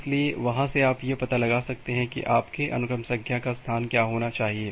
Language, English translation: Hindi, So, from there you can find out that what should be what should be your sequence number space